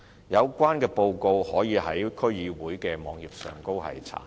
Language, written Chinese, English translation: Cantonese, 有關報告可於區議會的網頁上查閱。, The relevant reports are accessible on the websites of DCs